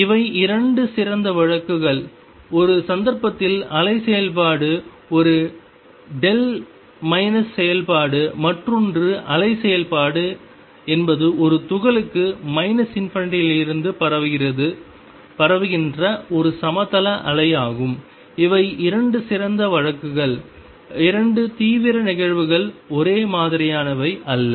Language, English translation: Tamil, These are 2 ideal cases, in one case the wave function is a delta function in the other case wave function is a plane wave spreading from minus infinity in a for a particle these are 2 ideal cases 2 extreme cases which are not same